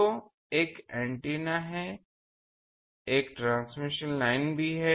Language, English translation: Hindi, So, there is an antenna but also there is a transmission line